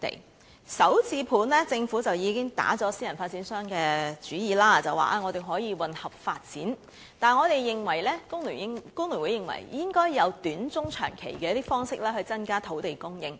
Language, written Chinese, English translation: Cantonese, 關於"港人首置上車盤"，政府已經打了私人發展商的主意，表示可以混合發展，但我們工聯會認為應該有短、中、長期方式去增加土地供應。, In respect of Starter Homes the Government has already thought of engaging private developers and indicated that there can be mixed development . But we in FTU consider that there should be short - medium - and long - term approaches to increase land supply